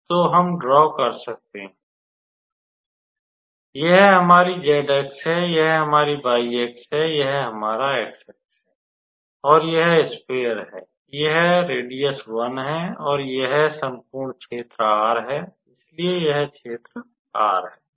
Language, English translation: Hindi, So, we can draw the so this is our z axis, this is our y axis, this is our x axis, and that is my sphere, this is the radius 1, and this whole is the region R so this is the region R